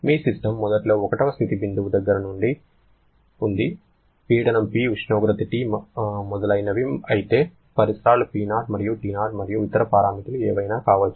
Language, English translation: Telugu, Your system is initially at a point at a state point say 1, pressure is P, temperature is T etc whereas the surroundings at a condition of P0 and T0 and whatever may be the other parameter